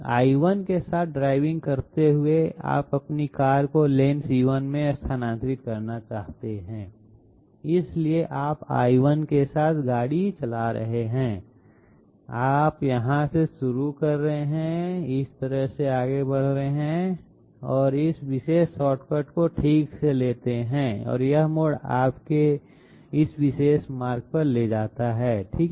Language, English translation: Hindi, Driving along L1, you want to shift your car to the lane C1, so you are driving along L1, you are starting from here, you are moving this way, you take this particular shortcut okay and this diversion leads you to this particular route okay